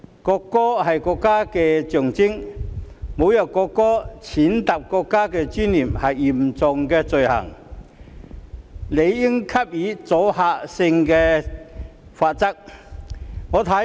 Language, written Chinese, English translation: Cantonese, 國歌是國家的象徵，侮辱國歌，踐踏國家尊嚴是嚴重罪行，理應給予阻嚇性的罰則。, The national anthem is the symbol of the country . Insulting the national anthem and trampling on national dignity are grave offences for which deterrent penalties should be meted out